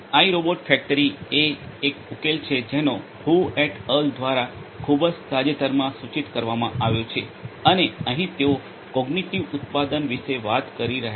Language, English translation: Gujarati, iRobot factory is a solution that is proposed very recently by Hu et al and here they are talking about cognitive manufacturing